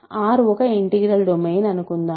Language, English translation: Telugu, Let R be an integral domain, ok